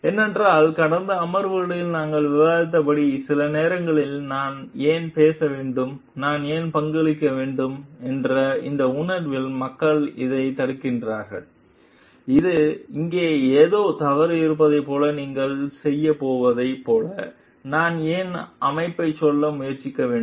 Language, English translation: Tamil, Because as we discussed in the last sessions like sometimes people get stuck into this blocked into this feeling why should I speak up, why I should I contribute, why should I try to tell the organization like you are going to do like something is wrong over here